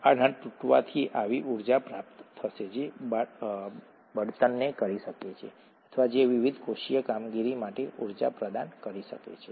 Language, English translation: Gujarati, A breakage of this would yield energy that can the fuel or that can provide the energy for the various cellular operations